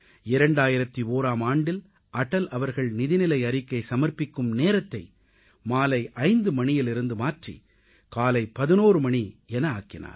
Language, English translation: Tamil, In the year 2001, Atalji changed the time of presenting the budget from 5 pm to 11 am